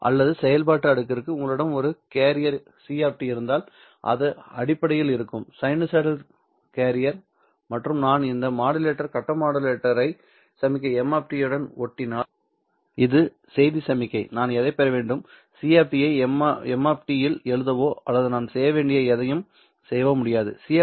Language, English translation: Tamil, Because for the phase modulation modulation the physical or the functional layer should tell you that if I have my carrier C of T which would essentially be a sinusoidal carrier and if I drive this modulator face modulator with signal M of T which is the message signal what should I get well I can't just write C of T into M of T or do anything